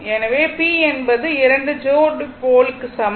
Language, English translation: Tamil, So, 2 pair we have p is equal to 2 pairs of pole